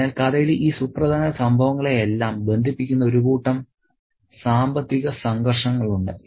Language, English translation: Malayalam, So, there are a set of financial conflicts connecting all these important events in the story